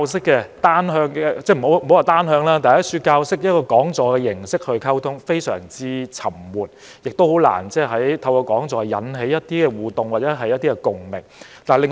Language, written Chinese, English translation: Cantonese, 我不說是單向教授，但以講座的形式來溝通，非常沉悶，亦難以引起互動或共鳴。, I will not say that they are one - way lectures but communication through talks is very boring and it is hard to promote interaction or identification from the attendants